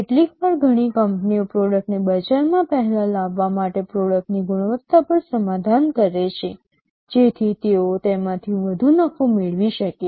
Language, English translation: Gujarati, Sometimes many companies compromise on the quality of product in order to bring the product to the market earlier, so that they can reap greater profit out of it